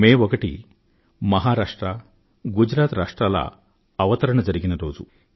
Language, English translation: Telugu, 1st May is the foundation day of the states of Gujarat and Maharashtra